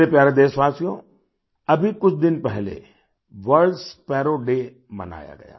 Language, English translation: Hindi, My dear countrymen, World Sparrow Day was celebrated just a few days ago